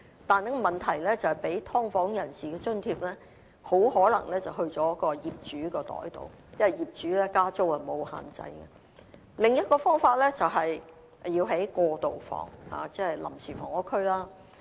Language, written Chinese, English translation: Cantonese, 但是問題是，提供給"劏房人士"的津貼很可能會進入業主的口袋，因為業主加租沒有限制；另一種方法，是要興建"過渡房"，即臨時房屋區。, But the problem is that the subsidy for people living in subdivided units may go directly to the pockets of landlords because landlords are free to increase rents . The second is to construct transitional housing or temporary housing areas